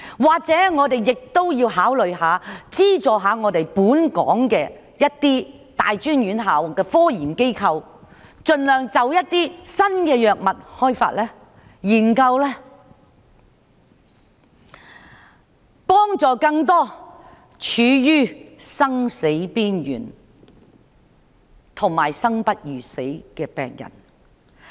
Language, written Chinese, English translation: Cantonese, 或者我們也要考慮資助本港一些大專院校的科研機構，盡量開發和研究一些新藥物，以幫助更多處於生死邊緣和生不如死的病人？, Should we consider substantially increasing the expenditure concerned? . Or should we consider subsidizing research bodies in some tertiary institutions in Hong Kong to try to develop new drugs that can help more patients who are on the verge of death and life?